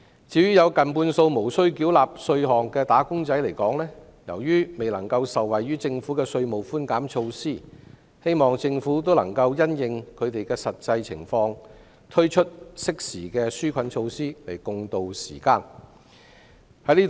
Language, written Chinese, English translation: Cantonese, 至於有近半數無須繳納稅款的"打工仔"來說，由於未能受惠於政府的稅務寬減措施，希望政府能夠因應他們的實際情況，適時推出紓困措施以助共渡時艱。, Almost half of the wage earners are not subject to tax . As they are unable to benefit from the Governments tax concession measure it is hoped that the Government can take into consideration their actual situations and introduce other relief measures in a timely manner to help them tide over the current hardship